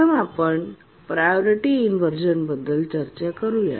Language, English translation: Marathi, First, let's look at priority inversion